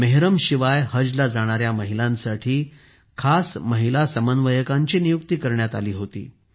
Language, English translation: Marathi, Women coordinators were specially appointed for women going on 'Haj' without Mehram